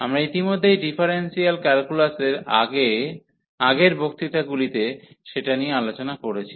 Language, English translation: Bengali, So, we already discuss in previous lectures in differential calculus